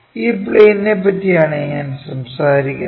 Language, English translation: Malayalam, This is the plane what we are talking about